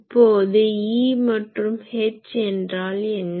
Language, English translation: Tamil, So, what is the H field